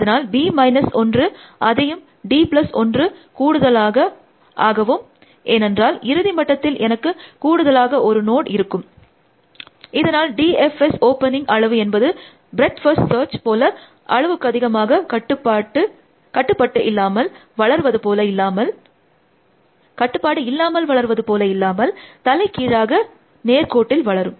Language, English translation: Tamil, So, b minus 1 that d plus one extra node, because at the last layer, I will have one extra node essentially, so size of open D F S means hands down, grows only linearly as oppose to breadth first search for which open grows exponentially